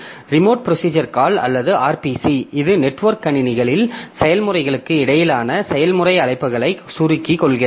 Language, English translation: Tamil, So, remote procedure call or RPC it abstracts procedure calls between processes on networked system